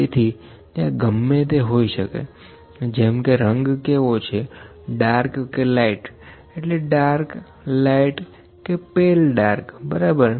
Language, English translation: Gujarati, So, anything like colour can be there colour, dark or light colour dark or pale dark or light, ok